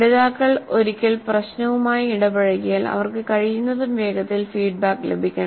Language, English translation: Malayalam, So, once learners engage with the problem, they must receive feedback as quickly as possible